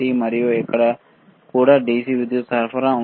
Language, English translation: Telugu, And here also is a DC power supply